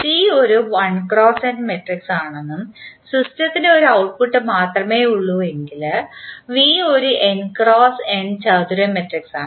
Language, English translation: Malayalam, In particular, if the system has only one output that is C is 1 cross n row matrix, V will have n cross n square matrix